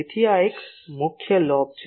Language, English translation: Gujarati, So, this one is the major lobe